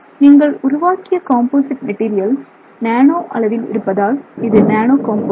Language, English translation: Tamil, So, what you are now creating is a composite material in the nano composite